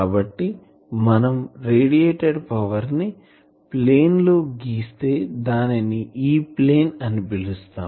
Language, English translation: Telugu, So, we are plotting that radiated power in the plane called E plane